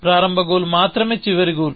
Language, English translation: Telugu, The initial goal is the only final goal